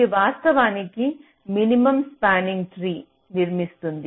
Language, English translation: Telugu, it actually constructs a minimum spanning tree